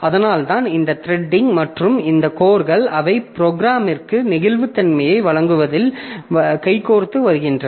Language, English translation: Tamil, So, that's why this threading and this core, so they come hand in hand in providing the flexibility to the programmer